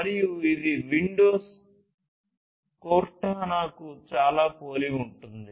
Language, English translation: Telugu, And it is very similar to the Cortana by Windows